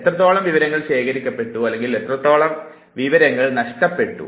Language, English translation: Malayalam, How much of information is stored or how much of information is lost